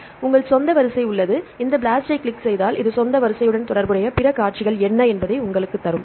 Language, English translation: Tamil, So, you have your own sequence, if you click on this blast this will give you what are the other sequences related with your own sequence